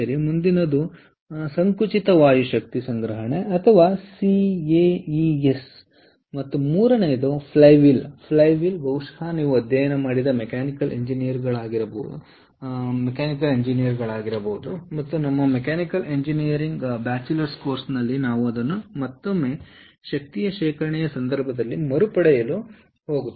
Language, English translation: Kannada, next one is compressed air energy storage, or caes, and the third one is flywheels fly wheels probably, ah, as mechanical engineers, you would have studied, and during our mechanical engineering bachelors course, we are going to recap that once more in in the context of energy storage